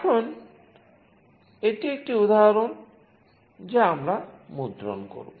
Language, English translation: Bengali, Now, this is an example that we will be printing